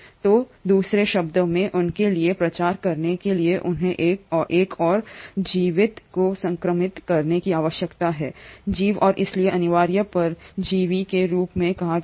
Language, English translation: Hindi, So in other words just for them to propagate they need to infect another living organism and hence are called as the obligatory parasites